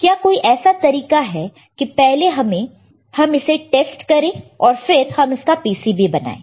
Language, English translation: Hindi, Is there a way that we can test it, and then we make this PCB